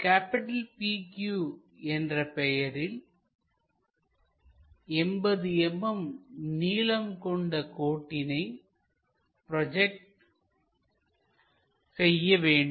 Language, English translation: Tamil, So, in this example draw projections of a 80 mm long line PQ